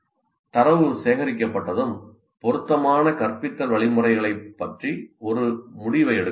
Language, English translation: Tamil, Once the data is collected, a decision about the appropriate forms of instruction then can be made